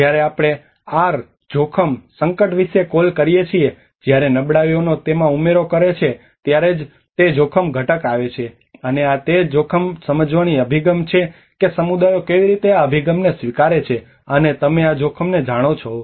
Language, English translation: Gujarati, Where we call about R=risk=hazard when vulnerability adds on to it that is where the risk component comes to it and this is the risk perception approach how people how the communities percept this approach you know the risk